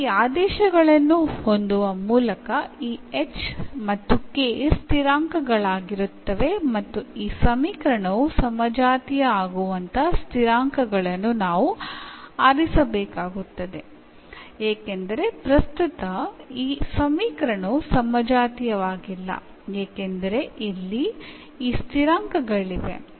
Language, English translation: Kannada, Now, by having this substitutions now, this h and k are the constants and we have to choose these constants such that this equation become homogeneous because at present this equation is not homogeneous because of these constant terms here